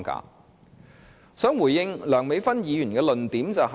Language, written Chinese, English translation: Cantonese, 就此，我想回應梁美芬議員的論點。, In this respect I would like to respond to the points raised by Dr Priscilla LEUNG